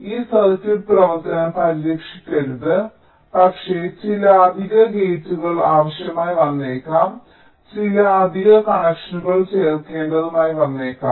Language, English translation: Malayalam, but we can use some additional hardware, like some additional gates may be required, some additional connections may need to be added